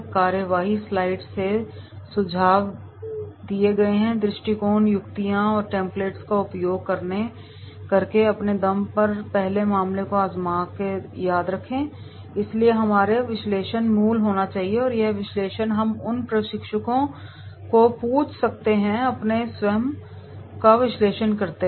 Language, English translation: Hindi, Remember to try the case on your own first using the suggested approach, tips and templates from the proceedings slides, so therefore our analysis should be our original and that analysis that we can ask the trainees that do your own analysis and put it there